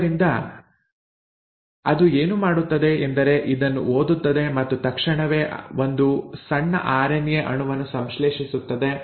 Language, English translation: Kannada, So what it does is, reads this, immediately synthesises a small RNA molecule